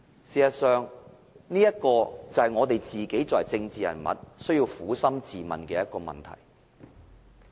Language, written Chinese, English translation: Cantonese, 事實上，這就是我們政治人物需要撫心自問的問題。, As a matter of fact this is a question that we political figures should ask ourselves